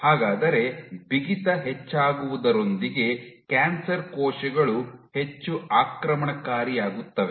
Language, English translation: Kannada, So, how then with increase in stiffness how do cancer cells become more invasive